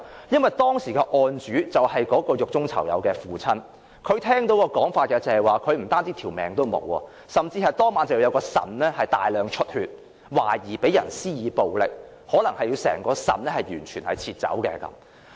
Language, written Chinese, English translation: Cantonese, 因為當時的案主是獄中囚友的父親，他聽到一種說法，就是他的兒子不單會失去性命，其腎臟當晚甚至大量出血，懷疑被人施以暴力，可能要切除整個腎臟。, It was because the complainant was the inmates father . As the complainant heard that his son might die of massive bleeding from the kidney resulting from suspected assault and that he might have to cut the entire kidney the complainant had asked for assistance in three separate police stations